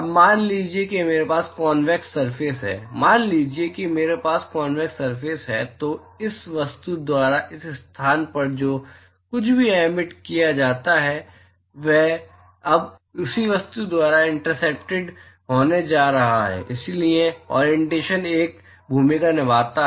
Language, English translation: Hindi, Now so supposing I have a convex surface, supposing if I have a convex surface then whatever is emitted by this object in this location is now going to be intercepted by the same object, so the orientation plays a role